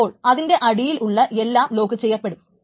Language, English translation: Malayalam, Everything under it is supposed to be locked as well